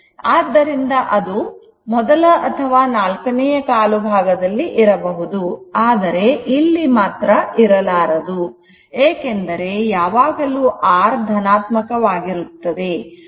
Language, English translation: Kannada, So, either in the first quadrant or in the fourth quadrant, but here it should not be there, because R is always positive